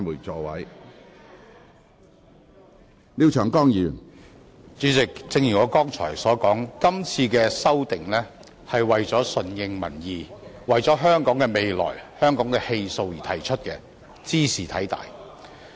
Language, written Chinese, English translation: Cantonese, 主席，正如我剛才所說，今次的修訂是為了順應民意，為了香港的未來、香港的氣數而提出的，茲事體大。, President as I mentioned just now this amendment exercise was initiated in response to public opinion for the sake of Hong Kongs future and fortunes . This is indeed a serious matter